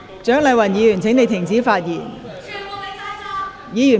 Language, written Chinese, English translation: Cantonese, 蔣麗芸議員，請停止發言。, Dr CHIANG Lai - wan please stop speaking